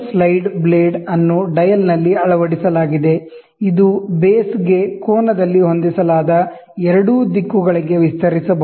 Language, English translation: Kannada, The slide blade is fitted into the dial, it make it may be extended to either directions set at an angle to the base